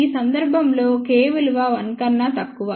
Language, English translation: Telugu, In this case, K was less than 1